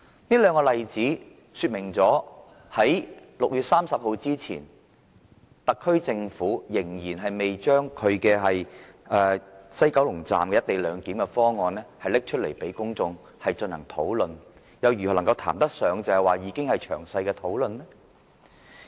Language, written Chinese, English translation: Cantonese, 這兩個例子說明在6月30日之前，特區政府仍然未公布西九龍站"一地兩檢"方案讓公眾進行討論，現時又如何談得上已經有詳細討論呢？, These two cases can show that before 30 June the SAR Government was yet to announce a co - location proposal at West Kowloon Station for public discussion . So how can the Government now claim that there have been thorough discussions on its present proposal?